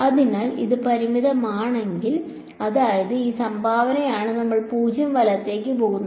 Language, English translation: Malayalam, So, if it is finite; that means, it is this contribution we will tend to 0 right